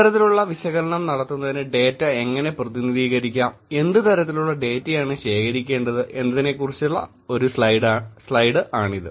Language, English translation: Malayalam, This is one slide when I talked about, how the data can be represented, what data has been collected for doing these kinds of analysis